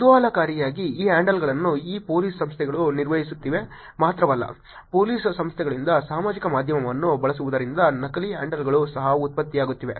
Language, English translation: Kannada, Interestingly, there is not only that these handles have been managed by these Police Organizations, there are also fake handles that are being generated because of using of social media by Police Organizations also